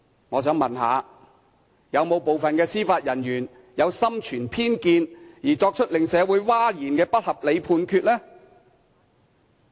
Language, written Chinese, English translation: Cantonese, 我想問，是否有部分司法人員心存偏見而作出令社會譁然的不合理判決呢？, I would like to ask Did some judicial officer make an unreasonable Judgement that is shocking to society out of prejudice?